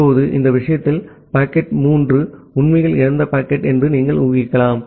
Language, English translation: Tamil, Now, in this case, you can infer that the packet 3 is actually the packet that has been lost